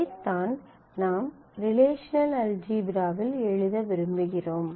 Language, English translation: Tamil, So, we start with the relational algebra in the relational algebra